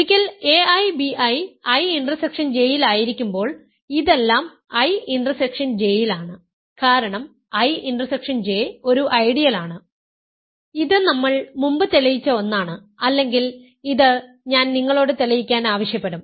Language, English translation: Malayalam, Once a i bi is in I in I intersection J, this whole thing is in I intersection J, because I intersection J is an ideal this is something we proved earlier or I have asked you to prove